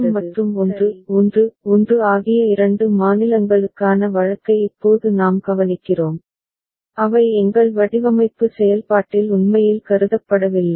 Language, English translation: Tamil, Now we look into the case for the two states 1 1 0 and 1 1 1 which we did not actually consider in our design process right